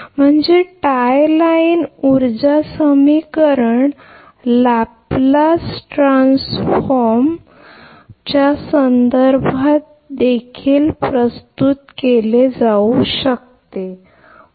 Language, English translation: Marathi, That means the tie line power equation also can be represented in terms of Laplace transform right